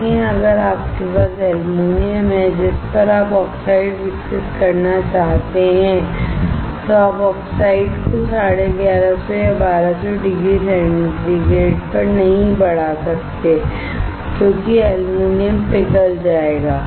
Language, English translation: Hindi, But, if you have aluminum on which you want to grow oxide, then you cannot grow oxide at 1150 or 1200 degree centigrade, because the aluminum will melt